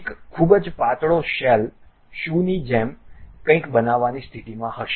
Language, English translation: Gujarati, A very thin shell one will be in a position to construct something like a shoe